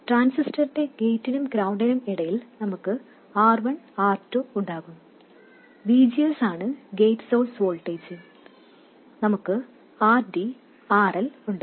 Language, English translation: Malayalam, We will have R1, R2, between the gate of the transistor and ground, GM VGS where VGS is the gate source voltage, and we have RD and we have RL